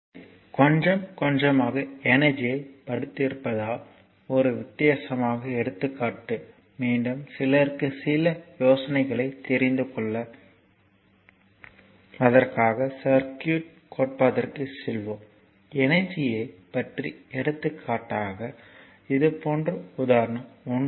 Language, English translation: Tamil, So, we have back again, as we have studied little bit of energy right what our so, one different example then again we will go to the circuit theory just to give you some you know some ideas, regarding energy then I for example, like this is example 1